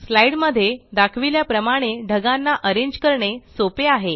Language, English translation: Marathi, It now becomes simple to arrange the clouds as shown in the slide